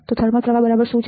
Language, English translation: Gujarati, So, what exactly is a thermal drift